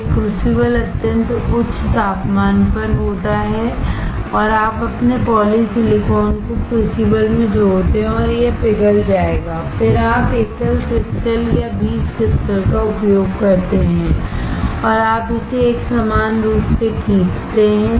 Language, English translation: Hindi, This crucible is at extremely high temperature, and you add your polysilicon into the crucible and it will melt, then you use single crystal or seed crystal and you pull this up in a uniform fashion